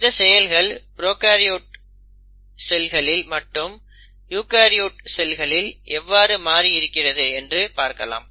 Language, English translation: Tamil, Now if one were to compare the differences in these processes, let us say in a prokaryotic cell; so this is your prokaryotic cell and this is a eukaryotic cell